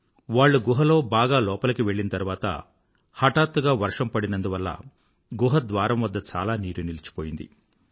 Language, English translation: Telugu, Barely had they entered deep into the cave that a sudden heavy downpour caused water logging at the inlet of the cave